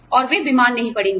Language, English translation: Hindi, And, they will not fall sick